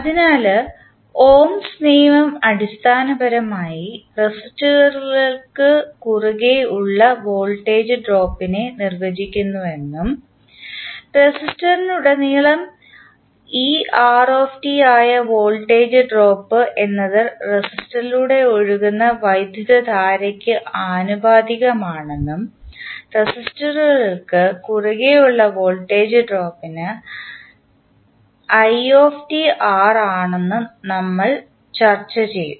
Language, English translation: Malayalam, So, far resistors, we discussed that the Ohms law basically defines the voltage drop across the resistors and it says that the voltage drop that is er across a resistor is proportional to the current i flowing through the resistor and as we just discussed the drop across resistance is given by current i into resistance value R